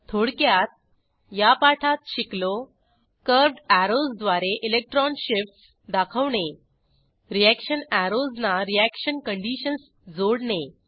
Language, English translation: Marathi, In this tutorial we have learnt to * Show electron shifts using curved arrows * Attach reaction conditions to reaction arrows